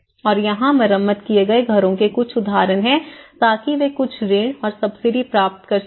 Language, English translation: Hindi, What you can see here is some examples of the repaired houses so here they could able to procure some loans and subsidies